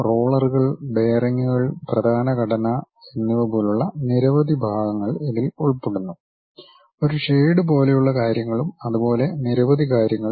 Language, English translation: Malayalam, It includes many parts like rollers, bearings, main structure, there is something like a shade and many things